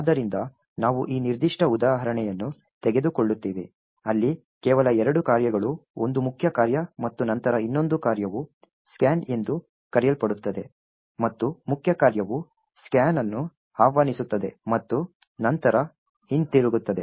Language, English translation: Kannada, So, we will take this particular example where there are just two functions one the main function and then another function called scan and the main function is just invoking scan and then returning